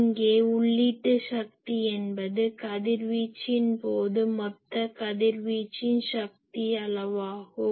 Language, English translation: Tamil, So, here input power is there it was radiation total power radiated